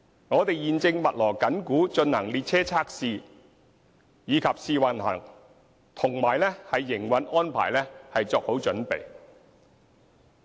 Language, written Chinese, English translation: Cantonese, 我們現正密鑼緊鼓地進行列車測試和試運行，以及為營運安排作好準備。, Train testing and trial runs as well as preparation for the operation stage are underway